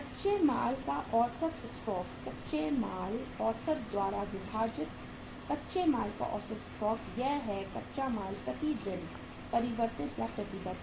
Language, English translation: Hindi, That is average stock of raw material, average stock of raw material divided by raw material average raw material converted or committed per day